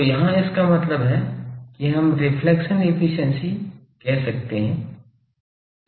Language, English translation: Hindi, So, here this that means we can say reflection efficiency